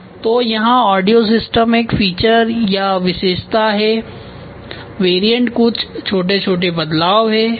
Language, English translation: Hindi, So, here audio system is a feature, variants are some small changes ok